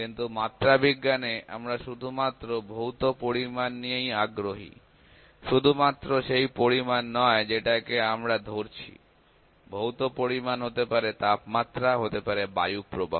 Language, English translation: Bengali, But in metrology we are only interested in the physical quantity; physical quantity means physical quantity not only means the quantity that we can hold, physical quantity might be temperature, might be flow of wind